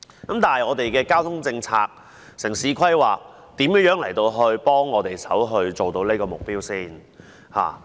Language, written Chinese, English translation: Cantonese, 但是，我們的交通政策、城市規劃如何協助我們達成這個目標？, However how can our transport policy and urban planning contribute to achieving this target?